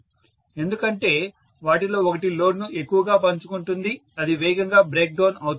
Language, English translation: Telugu, Because one of them shares the load much more it will break down faster